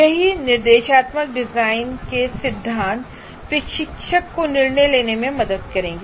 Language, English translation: Hindi, So that is what the principles of instructional design will help the instructor to decide on this